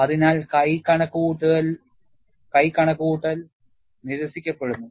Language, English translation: Malayalam, So, hand calculation is ruled out